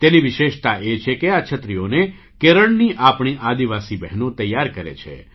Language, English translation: Gujarati, And the special fact is that these umbrellas are made by our tribal sisters of Kerala